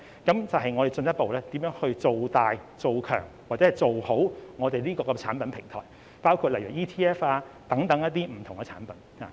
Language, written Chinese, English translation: Cantonese, 那便是要進一步造大、造強、以及做好我們這個產品平台，例如 ETF 等不同產品。, It will be to further expand reinforce and improve our platform for products such as ETF and various other products